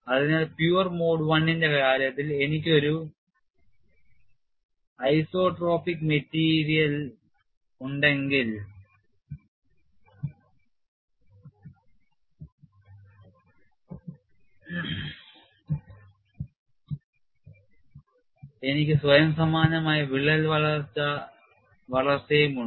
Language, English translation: Malayalam, So, in the case of pure mode one and if I have an isotropic material, I have self similar crack growth